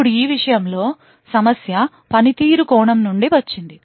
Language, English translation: Telugu, Now the problem with this thing comes from a performance perspective